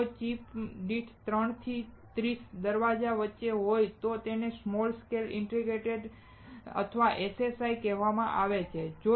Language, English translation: Gujarati, If it is between three to thirty gates per chip it is called small scale integration or SSI